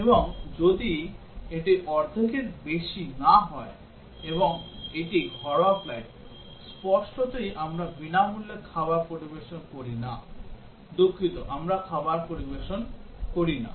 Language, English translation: Bengali, And if it is not more than half full, and it is domestic flight; obviously, we do not serve free meal, sorry, we do not serve meals